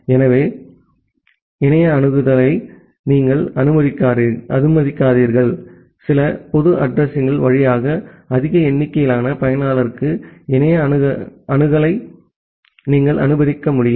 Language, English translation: Tamil, So, you allow internet access you will be able to allow the internet access to a large number of users via few public address